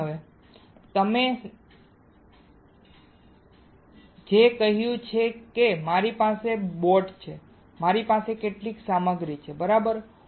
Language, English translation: Gujarati, The screen now, what I told you is I have a boat I have some material right